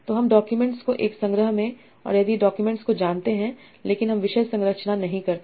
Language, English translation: Hindi, So we know the documents are observed in a collection and the documents, but I do not know the topic structure